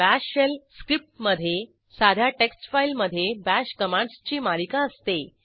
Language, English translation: Marathi, The Bash Shell script contains a series of Bash commands in plain text file